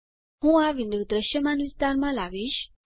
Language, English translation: Gujarati, I will bring this window in the visible area